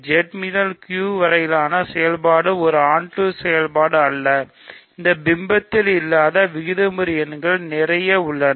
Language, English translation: Tamil, The function from Z to Q is not an onto function, there are lots of rational numbers which are not images of this map